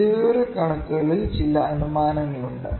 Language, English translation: Malayalam, So, a statistics there are certain assumptions